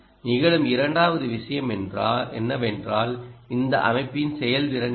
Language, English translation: Tamil, second thing that occurs is what is the ah ah efficiency of this system